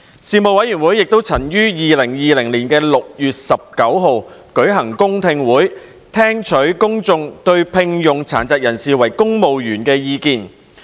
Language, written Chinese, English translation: Cantonese, 事務委員會亦曾於2020年6月19日舉行公聽會，聽取公眾對聘用殘疾人士為公務員的意見。, The Panel held a public hearing on 19 June 2020 to receive views from members of the public on employing persons with disabilities PWDs in the civil service